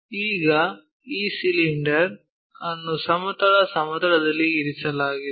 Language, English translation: Kannada, Now, this cylinder is placed on horizontal plane